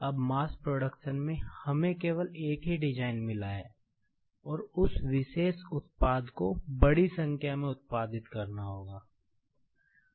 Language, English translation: Hindi, Now, in mass production, we have got only one design, and that particular product is to be produced a large in number